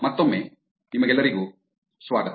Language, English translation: Kannada, Once again welcome back